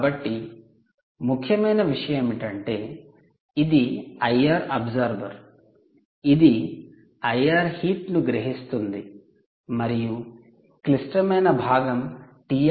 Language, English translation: Telugu, ok, this is the i r absorber which is essentially absorbing all the i r heat, and what is critical is this part